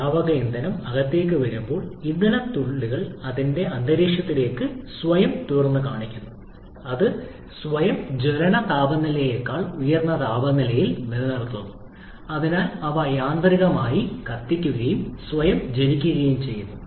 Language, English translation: Malayalam, As the liquid fuel comes inside, the fuel droplets are immediately exposed to an environment which is maintained at a temperature well above its self ignition temperature, so they auto ignite, so self ignites